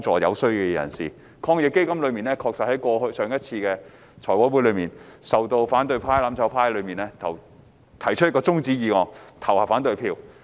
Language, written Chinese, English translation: Cantonese, 就防疫抗疫基金而言，在之前的財務委員會會議上，反對派、"攬炒派"提出中止待續議案，就政府的建議投下反對票。, As for the Anti - epidemic Fund AEF the opposition camp the mutual destruction camp puts forth an adjournment motion and voted against the proposal of the Government at a previous meeting of the Finance Committee